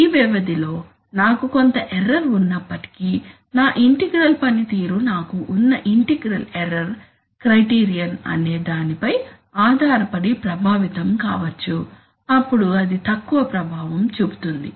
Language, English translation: Telugu, Even if during this period I have some error and my control performance is, may be affected depending on whether I have an integral error criterion then it will be less affected